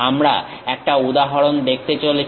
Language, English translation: Bengali, One example we are going to see